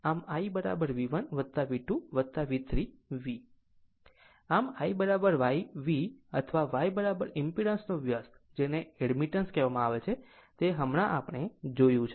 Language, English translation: Gujarati, Or I is equal to YV or Y is equal to reciprocal of impedance that is called admittance just now we have seen right